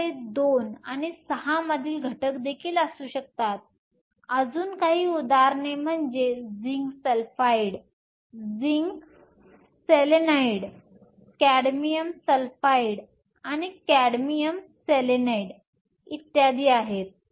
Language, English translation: Marathi, You can also have elements from 2 and 6 again some examples are zinc sulfide, zinc selenide, cadmium sulfide and cadmium selenide and so on